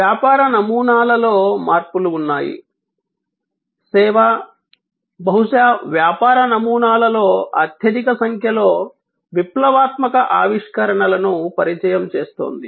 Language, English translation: Telugu, There are changes in the business models; service is perhaps introducing the most number of revolutionary innovations in business models